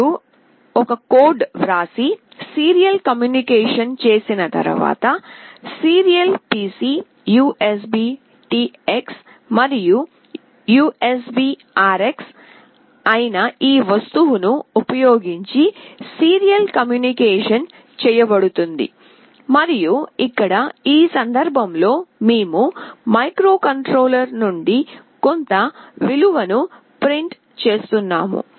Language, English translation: Telugu, Once you write a code and make the serial communication, the serial communication will be made using this object that is serial PC USBTX and USBRX and here in this case, we are just printing some value from the microcontroller